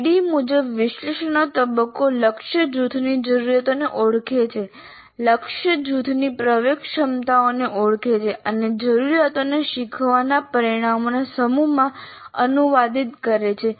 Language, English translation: Gujarati, The analysis phase as for ADD identifies the needs of the target group and identify the entry capabilities of the target group and translate the needs into a set of learning outcomes